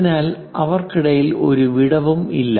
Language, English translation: Malayalam, So, there is no gap in between them